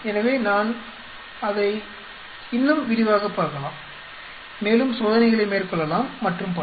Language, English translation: Tamil, So, I may look at it more in detail, may be carry out more experiments and so on